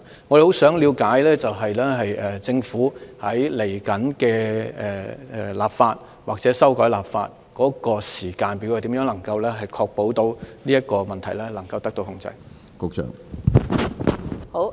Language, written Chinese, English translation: Cantonese, 我們很想了解政府未來立法或修訂法例的時間表，以及如何確保這個問題能夠受到控制？, We are eager to know the timetable for the Government to propose legislation or introduce legislative amendment to this effect and how to ensure that such problems are under control